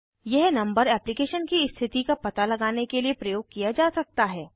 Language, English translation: Hindi, This number can be used for tracking the status of the application